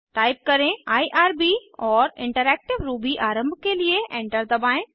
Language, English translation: Hindi, Type irb and press Enter to launch the interactive Ruby